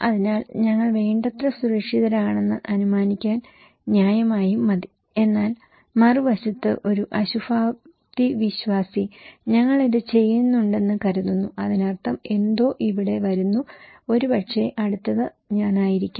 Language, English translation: Malayalam, So, reasonably enough to assume that we are safe enough but on the other hand a pessimist thinks that we are do, that means something is coming here, right that maybe next is me